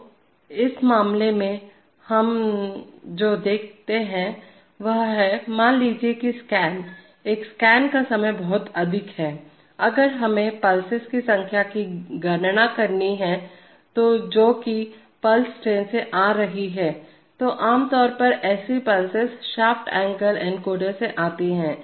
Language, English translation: Hindi, So in this case what we see is that, suppose the scans, the one scan time is this much, if we have to count the number of pulses which are arriving on a pulse train typically such pulses come from shaft angle encoders